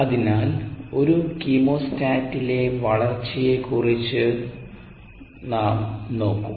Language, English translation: Malayalam, so we will look at growth in a chemostat